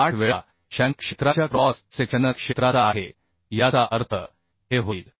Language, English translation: Marathi, 78 times the cross sectional area of the shank area that means this will be reduced to 0